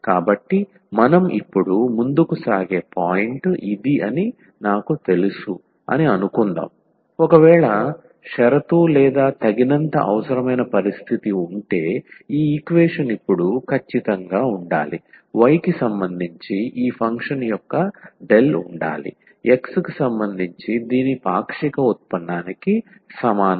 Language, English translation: Telugu, So, this is the point where we will now proceed that suppose that I mean we know that the if and only if condition or the sufficient necessary condition, this equation to be exact now would be that del of this function with respect to y must be equal to partial derivative of this with respect to x